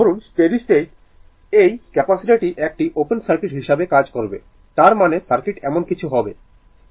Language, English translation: Bengali, Suppose at steady state this capacitor will act as open circuit; that means, circuit will be something like this, right